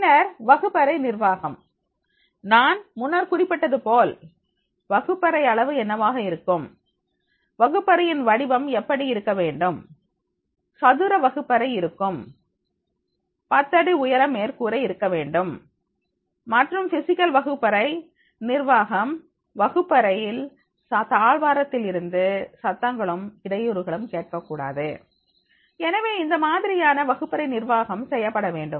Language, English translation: Tamil, Then the classroom management is already I have mentioned that is what should be the classroom size, what should be the shape of the classroom, the square classroom is there, 10 foot height of the ceiling is to be there and therefore the physical classroom management, the classroom should not have the access to noise and the step corridors and disturbances